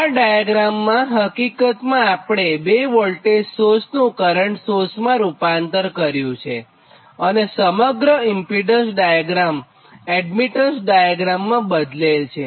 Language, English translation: Gujarati, so this diagram, this one, actually transform this two sources, transform in to current source and all the impedance diagram i have been transform in to admittance diagram, right